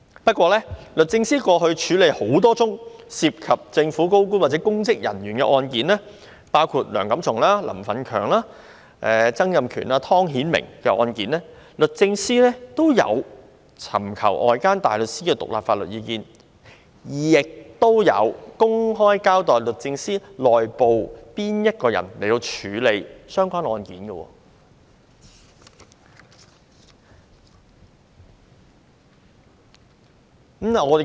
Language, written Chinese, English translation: Cantonese, 不過，律政司過去處理多宗涉及政府高官或公職人員的案件，包括梁錦松、林奮強、曾蔭權、湯顯明的案件，均有尋求外間大律師的獨立法律意見，亦有公開交代律政司內部誰人負責處理相關案件。, However in handling several cases involving senior government officials or public officers including Mr Antony LEUNG Mr Franklin LAM Mr Donald TSANG and Mr Timothy TONG DoJ has sought the independent advice of outside counsel and also made public the person in DoJ who took charge of the case concerned